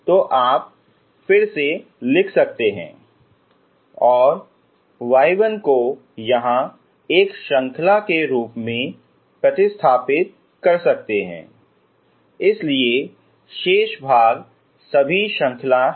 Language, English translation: Hindi, So you can rewrite and substitute your y 1 here as a series so remaining parts are all series